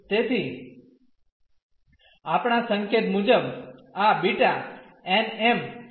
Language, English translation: Gujarati, So, per our notation this is beta n, m